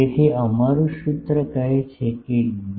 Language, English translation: Gujarati, So, our formula says D